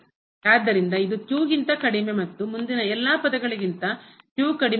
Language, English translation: Kannada, So, this is less than and all other terms here less than